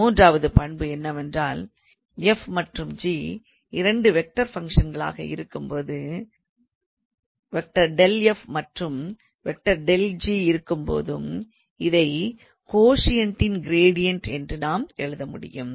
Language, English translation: Tamil, The third property is let f and g are two vector functions such that their gradient of f and gradient of g exist, then we can write gradient of the quotient